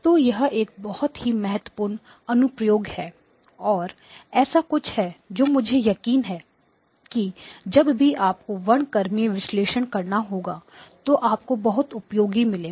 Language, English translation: Hindi, So this is a very, very important application and something that I am sure you will find very useful whenever you have to do spectral analysis